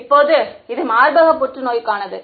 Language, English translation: Tamil, Now, so this is for breast cancer